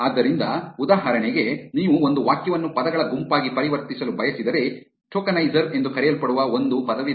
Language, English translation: Kannada, So, for example, if you want to convert a sentence into a set of words, there is something called word tokenizer